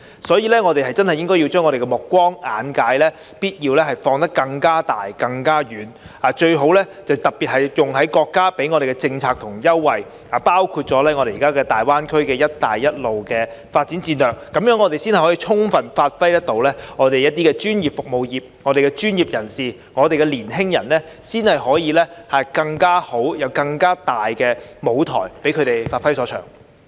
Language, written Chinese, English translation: Cantonese, 所以，我們真的必須要把我們的目光和眼界放得更廣和更遠，特別是用在國家給我們的政策和優惠上，包括我們現在的大灣區"一帶一路"的發展戰略，這樣才可以充分發揮我們的專業服務業，我們的專業人士和年輕人才可以有更好及更大的舞台一展所長。, For that reason we should broaden our vision and horizon particularly make better use of the policies and preferential treatment given to us by the country including the development strategy of the Greater Bay Area and the Belt and Road Initiative . Only by so doing can our professional services industries fully play their role which will enable our professionals and young people to have a bigger stage to showcase their talents